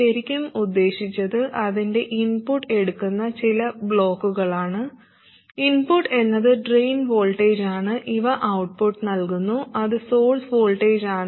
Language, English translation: Malayalam, What we really need is some block which takes its input which is the drain voltage and gives an output which is the source voltage and also it must have this behavior